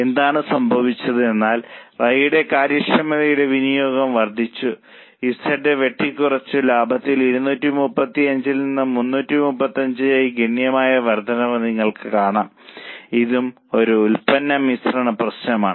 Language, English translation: Malayalam, What has happened is we have increased the capacity utilization of Y, cut down Z and you can see there is a substantial increase in profit from 235 to 335